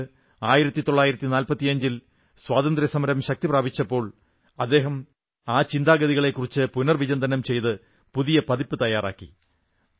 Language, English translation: Malayalam, Later, in 1945, when the Freedom Struggle gained momentum, he prepared an amended copy of those ideas